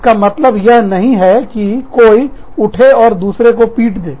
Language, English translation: Hindi, It does not mean that, somebody will get up, and beat up the other person